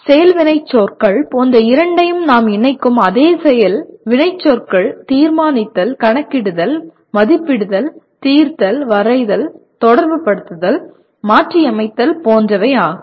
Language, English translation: Tamil, Now what happens the same action verbs that we will be associating with both of them like action verbs of concern are determine, calculate, compute, estimate, solve, draw, relate, modify, etc